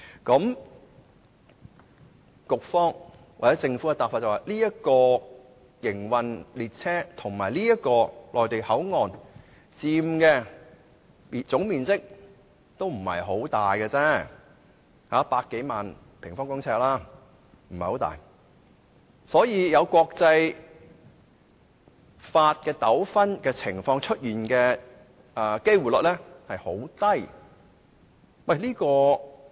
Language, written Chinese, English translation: Cantonese, 根據局長和政府的答覆，營運中的列車和內地口岸區所佔的總面積並不很大，只有100多萬平方公尺，因此發生涉及國際法的糾紛的機會率很低。, According to the replies given by the Secretary and the Government the total area occupied by a train in operation and MPA is a mere 1 million or so square metres which is not very large . As such the probability of disputes that involve international laws arising is very low